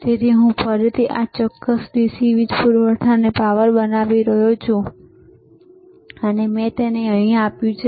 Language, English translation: Gujarati, So, again I am giving a power to this particular DC power supply, and I given it to here